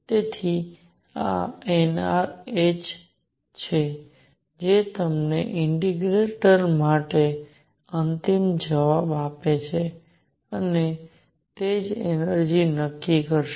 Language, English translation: Gujarati, So, this is n r h this giving you the final answer for the integral and this is what is going to determine the energy